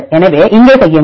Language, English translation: Tamil, So, make here